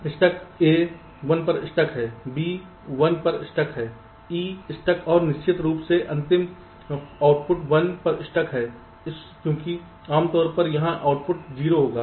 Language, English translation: Hindi, stuck at one, faults stuck at a stuck at one, b stuck at one or e stuck at and of course the final output stuck at one, because normally here the output will be zero